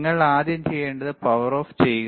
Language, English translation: Malayalam, First thing that you do is you switch off the power, all right